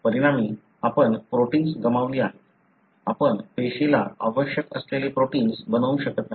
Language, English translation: Marathi, As a result, you have lost the protein; you are unable to make the protein that is required by the cell